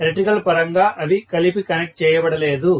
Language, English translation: Telugu, In terms of electrically they are not connected together